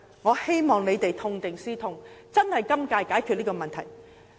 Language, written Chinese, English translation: Cantonese, 我希望局長會痛定思痛，在今屆解決問題。, I hope that the Secretary can draw a lesson from the bitter experience and resolve the problem within this term